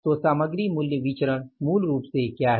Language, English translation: Hindi, So material price variance is basically what